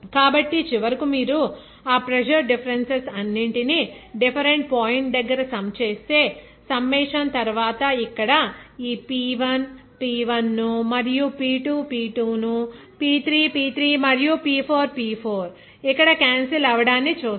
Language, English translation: Telugu, So, finally, if you sum it up all those pressure differences at a different point, you will see that after summing up, here you see cancelling of this P1 P1 here and P2 P2 here, P3 P3, P4 P4